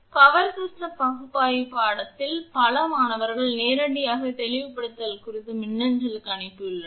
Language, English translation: Tamil, In the power system analysis course many student directly sent to the mail that regarding clarification